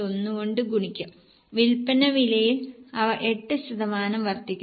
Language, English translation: Malayalam, 1 and for sale prices they are increasing by 8%